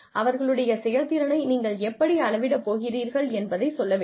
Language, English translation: Tamil, Tell them, how you are going to measure, their performance